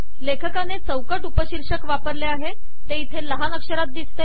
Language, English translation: Marathi, He has also used the frame subtitle that comes here in small letters